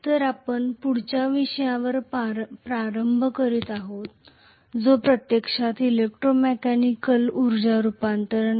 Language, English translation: Marathi, Okay, so we are starting on the next topic which is actually electromechanical energy conversion, okay